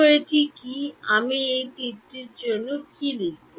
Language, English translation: Bengali, So, what is this, what should I write for this arrow